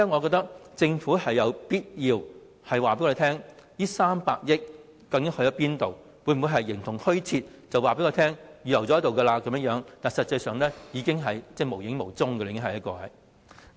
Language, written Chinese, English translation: Cantonese, 所以，政府有必要告訴我們這300億元的去向，否則撥款會否形同虛設，只是口頭告訴我們已經預留，實際上卻無影無蹤呢？, Therefore the Government needs to tell us the whereabouts of the 30 billion otherwise the allocation will exist in name only and does it mean that all the Government needs to do is to tell us it has earmarked some funds orally but actually the funds have vanished?